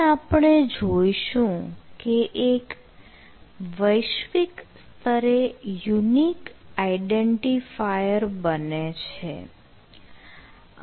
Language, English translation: Gujarati, so here we can see the one globally unique identifier will be created